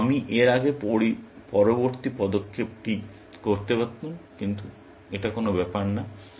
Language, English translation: Bengali, So, I could have done the next step before this, but it does not matter